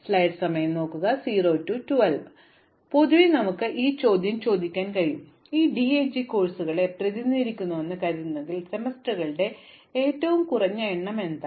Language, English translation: Malayalam, So, in general we can ask this question, if I think of these as DAG as representing courses, what is the minimum number of semesters